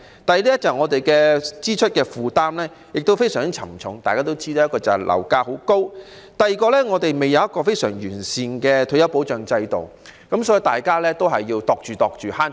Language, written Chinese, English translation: Cantonese, 第二，我們的支出負擔非常沉重，其中一個原因是樓價高企，而另一個原因是香港尚未有非常完善的退休保障制度，所以大家都要謹慎地花費。, Second we have a very heavy expenditure burden . One of the reasons is the high property prices and another reason is the absence of a sound retirement protection system in Hong Kong which has prompted people to spend prudently